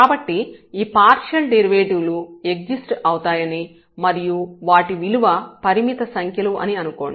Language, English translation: Telugu, So, assuming again that these partial these derivatives exist and they are finite numbers